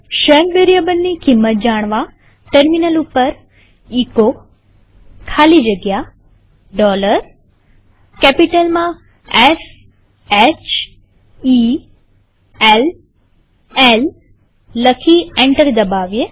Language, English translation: Gujarati, To see what is the value of the SHELL variable, type at the terminal echo space dollar S H E L L in capital and press enter